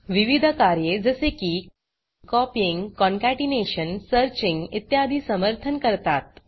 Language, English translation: Marathi, Various operations such as copying, concatenation, searching etc are supported